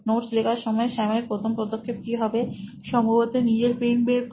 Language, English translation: Bengali, So what would be the first step Sam would be doing while taking down notes, probably take out his pen